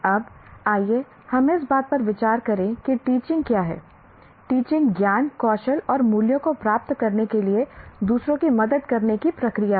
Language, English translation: Hindi, Kindly note that teaching is a process of helping others to acquire knowledge, skills, and values